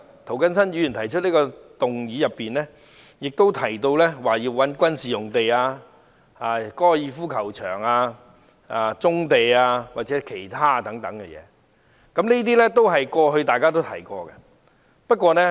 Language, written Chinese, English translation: Cantonese, 涂謹申議員的議案提到要使用軍事用地、高爾夫球場、棕地或其他用地來建屋，這些都是大家過去提過的。, In his motion Mr James TO suggests using military sites golf courses brownfield sites and other sites for housing . These are suggestions that Members made in the past